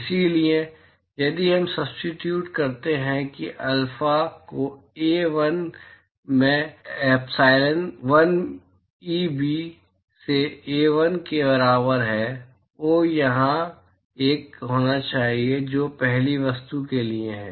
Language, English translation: Hindi, So, if we substitute that will be alpha into A1 that is equal to epsilon1 Eb into A1, oops should be one here that is for the first object